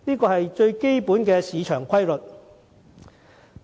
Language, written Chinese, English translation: Cantonese, 這是最基本的市場定律。, This is the basic market rule